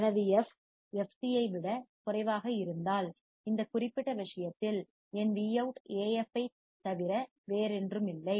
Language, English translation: Tamil, If my f is less than fc, in this particular case, then my Vout will be nothing but AF